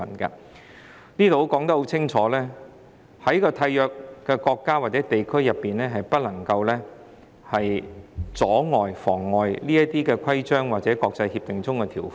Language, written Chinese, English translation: Cantonese, 這裏清楚指出，締約國家或地區不能夠妨礙這些國際協定的條款。, Article V clearly states that a contracting country or region is not allowed to preclude the application of provisions of international agreements